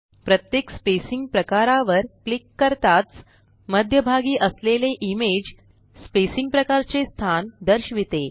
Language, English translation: Marathi, As we click on each spacing type, the image in the centre shows the location of the spacing type